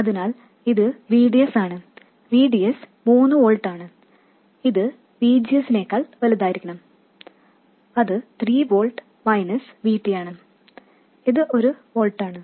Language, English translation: Malayalam, So, this is VDS, VDS is 3 volts, it should be greater than VGS which is also 3 volts, minus VT which is 1 volt